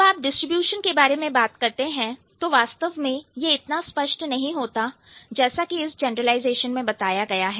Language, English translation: Hindi, So, when you are talking about the distribution, it may not be as, um, as let's say, um, evident as it shows in the generalization